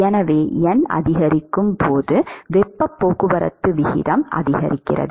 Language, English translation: Tamil, So, what happens when n increases is the heat transport rate increases